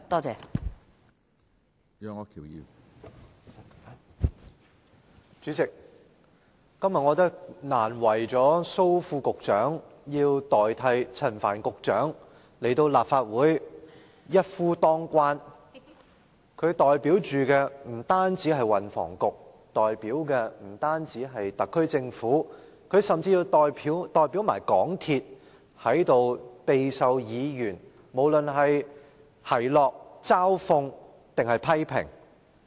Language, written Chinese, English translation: Cantonese, 主席，今天難為了蘇副局長要代替陳帆局長來立法會"一夫當關"，不但要代表運輸及房屋局、特區政府，甚至要代表香港鐵路有限公司在這裏備受議員的奚落、嘲諷或批評。, President today Under Secretary Dr Raymond SO has a hard time coming to the Legislative Council to take up all the challenges in place of Secretary Frank CHAN . Not only does he need to represent the Transport and Housing Bureau or the SAR Government but he also needs to represent the MTR Corporation Limited MTRCL being subject to the derision ridicule or criticism of Members